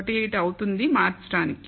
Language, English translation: Telugu, 18 will change